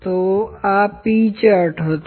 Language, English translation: Gujarati, So, this was the p chart